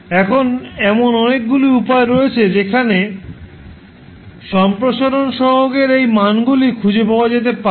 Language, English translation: Bengali, Now, there are many ways through which you can find these values of expansion coefficients